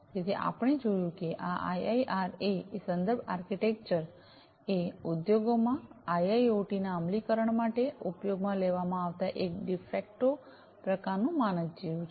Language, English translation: Gujarati, So, we have seen that this IIRA reference architecture is sort of like a de facto kind of standard being used for the implementation of IIoT in the industries